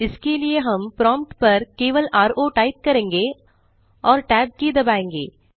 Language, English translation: Hindi, For this we just type ro at the prompt and press the tab key